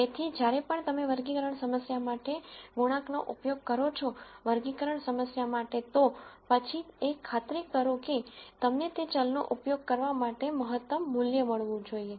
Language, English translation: Gujarati, So, whenever you use a coefficient for a variable, for the classification problem, then we want ensure that you get the maximum value for using that variable in the classification problem